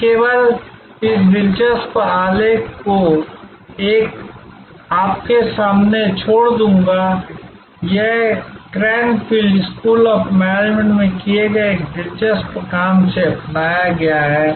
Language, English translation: Hindi, I will only leave this interesting diagram in front of you; this is adopted from one of the interesting work done at Cranfield School of Management